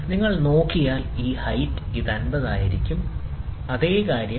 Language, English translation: Malayalam, So, the height if you see, this will be 50, the same thing will be 70